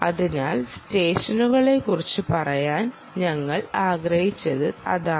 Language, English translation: Malayalam, so, ah, so that is what we wanted to say about the sessions